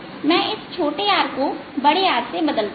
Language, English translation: Hindi, i am going to replace this small r now by capital r